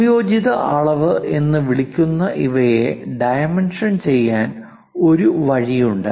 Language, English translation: Malayalam, There is one more way of dimensioning these things called combined dimensioning